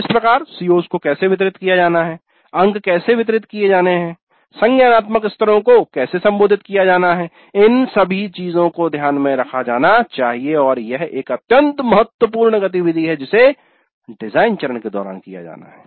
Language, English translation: Hindi, So how how the COs are to be distributed, how the marks are to be distributed, how the cognitive levels are to be as addressed, all these things must be taken into account and this is an extremely important activity to be carried out during the design phase